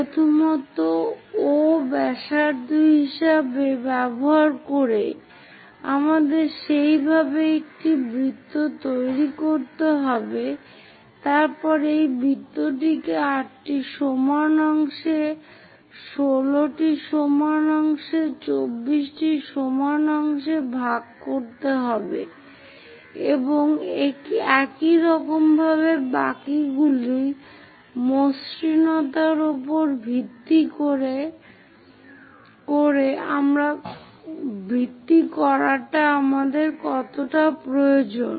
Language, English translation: Bengali, First of all, using the radius O we have to construct a circle in that way then divide this circle into 8 equal parts, 16 equal parts, 24 equal parts and so on based on the smoothness how much we require